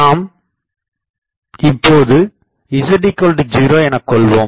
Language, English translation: Tamil, Let me put z is equal to 0 here